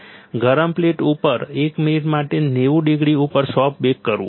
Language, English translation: Gujarati, soft bake at ninety degrees for one minute on hot plate